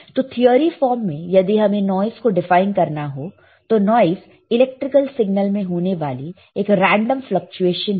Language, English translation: Hindi, So, in theory or quickly if you want to define noise, then you can say that noise is nothing but a random fluctuation in an electrical signal all right